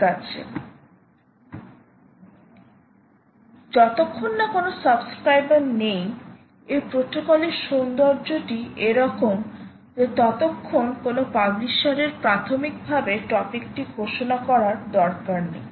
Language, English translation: Bengali, well, as far as no subscribers are concerned, the point, really the beauty of this protocol is such that no publisher need to announce that name of the topic at a priory